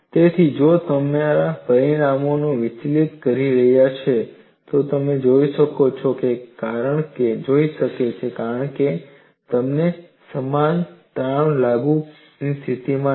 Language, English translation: Gujarati, So, if your results are deviating, it may be because you are not in a position to apply uniform stress